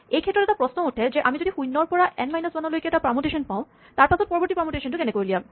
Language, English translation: Assamese, This give rise to the following question; if we have a permutation of 0 to N minus 1 how do we generate the next permutation